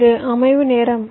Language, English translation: Tamil, ok, this is the setup time